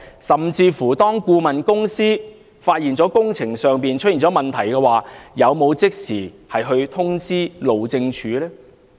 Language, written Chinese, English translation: Cantonese, 甚至當顧問公司發現工程出現問題，有否即時通知路政署呢？, Did the consultancy notify HyD immediately upon discovering irregularities in the works?